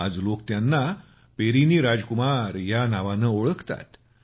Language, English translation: Marathi, Today, people have started knowing him by the name of Perini Rajkumar